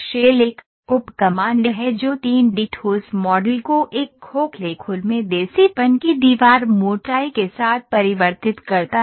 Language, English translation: Hindi, Shell is a, is a sub command that converts a 3 D solid model, solid into a hollow shell with a wall thickness of desirability